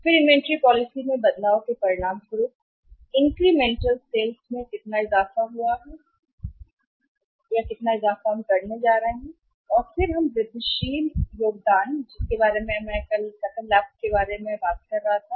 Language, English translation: Hindi, Then as a result of the change in inventory policy, Incremental sales how much increment of sales we are going to have right, how much increment of sales are going to have and then we have would have incremental contribution, incremental contribution which I was talking to you as a gross profit